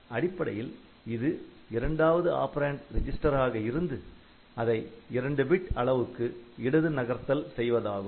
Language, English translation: Tamil, So, this is basically the case when where the second operand happens to be a register and it is left shifted by 2 bits ok